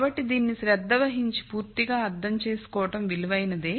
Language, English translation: Telugu, So, it is worthwhile to pay attention and then understand this completely